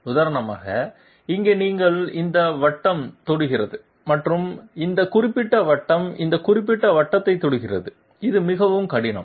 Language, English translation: Tamil, For example, here you are having this circle is touching and this particular circle is this particular circle is touching this particular circle, it is much more difficult